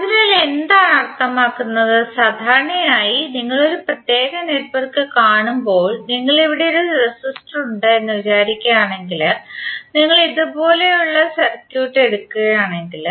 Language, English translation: Malayalam, So what does it mean, some generally when you see a particular network like if you represent here there is a resistor, if you take the circuit like this